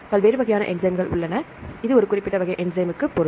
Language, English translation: Tamil, So, there are different types of enzymes, this means for a specific type of enzyme